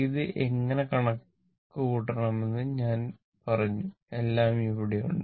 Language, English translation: Malayalam, I told you how to calculate it; everything is here, right